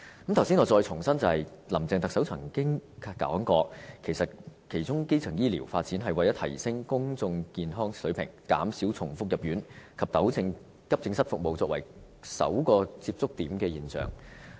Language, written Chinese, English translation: Cantonese, 我剛才重申，林鄭特首曾經表示，發展基層醫療是為了提升公眾健康的水平，減少重複入院及糾正以急症室服務作為求診首個接觸點的現象。, Just now I have reiterated what the Chief Executive Carrie LAM had said . That is developing a comprehensive and coordinated primary health care system would enhance overall public health reduce hospital readmission and rectify the situation where accident and emergency service was regarded as the first point of contact in seeking medical consultation